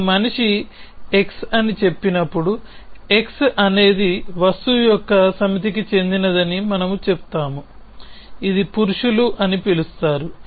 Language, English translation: Telugu, So, when you say man x we say that x belongs to the set of thing, which is call men